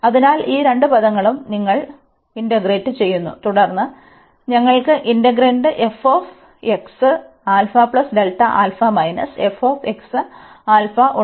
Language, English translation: Malayalam, So, these two terms will be combined, and then we will have these two terms as well